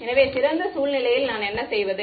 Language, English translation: Tamil, So, what do I do in the ideal scenario